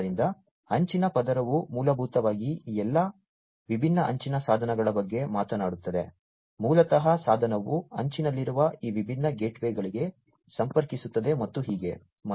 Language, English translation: Kannada, So, edge layer basically talks about all these different edge devices, basically the device is connecting to these different gateways at the edge and so on